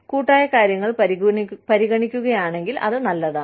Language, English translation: Malayalam, If collectively things are being considered, okay